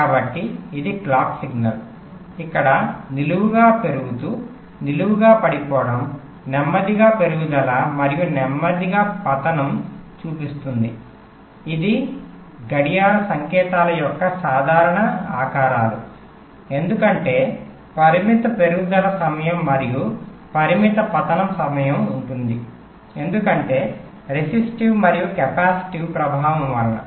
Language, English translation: Telugu, so you see, this is a clock signal, so where, instead of ideal, vertically rising, vertically falling were showing slow rise and slow fall, which are the typical shapes of the clock signals, because there will be a finite rise time and finite falls time because of resistive and capacity affects, and the actual clock